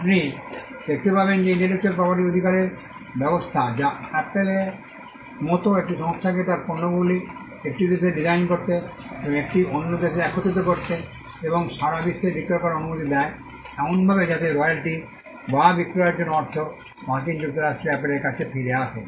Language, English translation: Bengali, You will find that it is the intellectual property rights regime that allows a company like Apple to design its products in one country and assemble it in another country, and sell it throughout the world; in such a way that the royalty or the money for the sale comes back to Apple in the United States